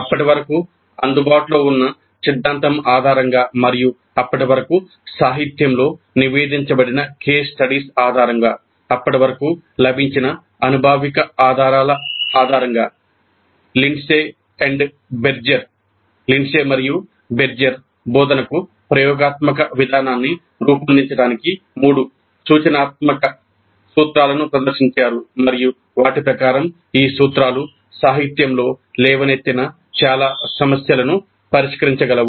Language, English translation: Telugu, Based on the theory that was available up to that point of time and based on the empirical evidence that was available to that time, based on the case studies reported in the literature of the time, Lindsay and Berger present three prescriptive principles to structure the experiential approach to instruction and according to them these principles can address most of the concerns raised in the literature